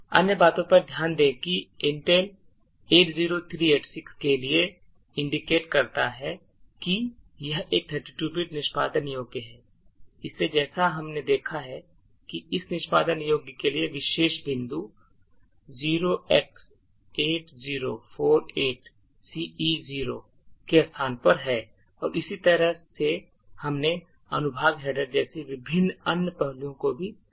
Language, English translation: Hindi, Other things to actually note is that for the Intel 80386 which indicates that it is a 32 bit executable, so as we have seen the entry point for this executable is at the location 0x8048ce0 and we have also seen the various other aspects such as the section headers and so on